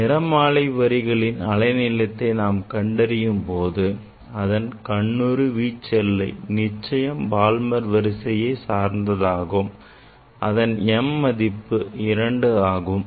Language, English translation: Tamil, When we will measure the wavelength of the spectral lines and this part for visible range whatever you are seeing that is sure this is the Balmer series and m will be 2